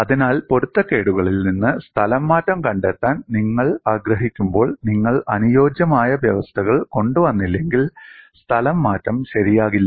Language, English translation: Malayalam, So, when you want to find out displacement from strain, unless you bring in compatibility conditions, the displacement will not be correct